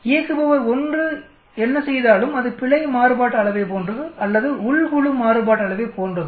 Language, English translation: Tamil, Whatever operator 1 does within is like any error variance or within group variance